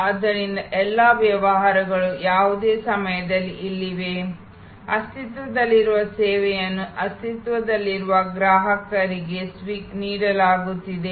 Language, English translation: Kannada, So, all businesses are here at any point of time, existing service being offer to existing customers